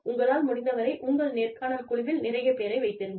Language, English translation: Tamil, So, as far as possible, have several people on your interview panel